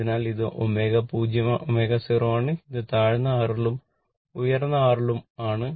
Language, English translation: Malayalam, So, this is at omega 0 so, this is at low R and this is at higher R